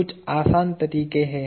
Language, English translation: Hindi, There are some simple ways